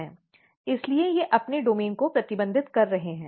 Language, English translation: Hindi, So, they are restricting their domain